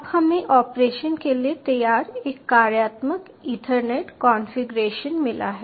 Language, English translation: Hindi, ok, now we have got a functional ethernet configuration ready for operation